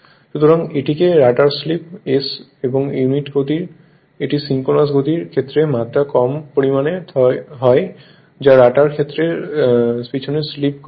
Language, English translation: Bengali, So, so it is called slip of the rotor right the slip s is the per unit speed this is dimension less quantity with respect to synchronous speed at which the rotor slips behind the stator field right